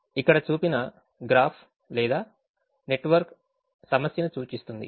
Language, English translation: Telugu, the graph or the network that is shown here represents the problem